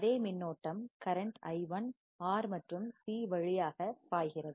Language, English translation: Tamil, The same current i1 flows through R and C